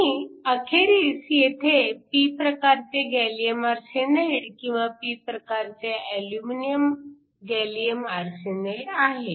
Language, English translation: Marathi, So, when x is equal to 1, it is aluminum arsenide and when x is equal to 0, it is gallium arsenide